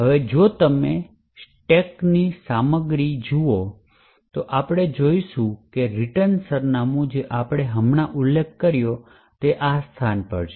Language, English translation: Gujarati, Now if you actually look at the contents of the stack we see that the return address what we just mentioned is at this location